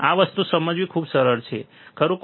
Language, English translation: Gujarati, It is very easy to understand this thing, right